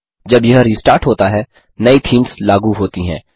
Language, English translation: Hindi, When it restarts, the new themes is applied